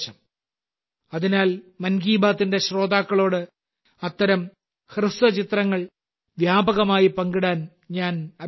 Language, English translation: Malayalam, Therefore, I would urge the listeners of 'Mann Ki Baat' to share such shorts extensively